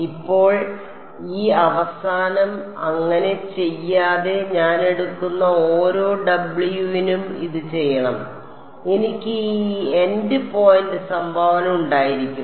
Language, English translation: Malayalam, Now without doing this end so, this should be done for every W that I take I will have this end point contribution